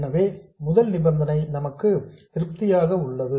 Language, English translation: Tamil, So the first condition is satisfied